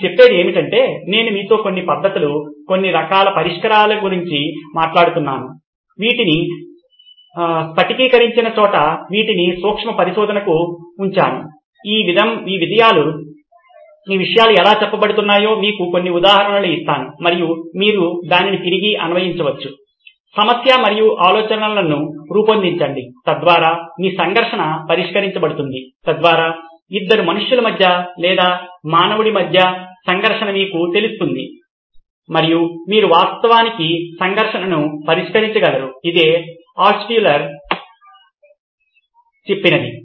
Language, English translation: Telugu, What it says is like I was talking to you about certain methods, certain types of solutions, these where crystallized these were put into heuristics of saying I will give you some examples of how these things are worded and you can actually apply it back to your problem and generate ideas so that your conflict is resolved, so that you know between two humans or between a human and a thing you can actually resolve the conflict, so this is what Altshuller had said